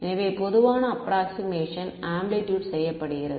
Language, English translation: Tamil, So, the common approximation that is done is for amplitude